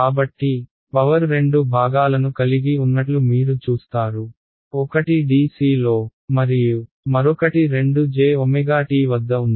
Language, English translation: Telugu, So, you see that the power seems to have 2 components; one is at dc and one is at 2 j omega t